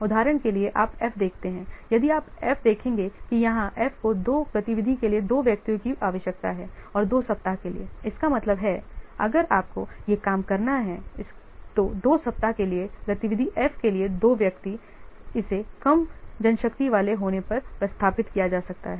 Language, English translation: Hindi, That means we require if you will this thing, that means two persons for activity F for two weeks, it can be replaced with if you are having less manpower, we can take only one person for activity F, but we can give for four weeks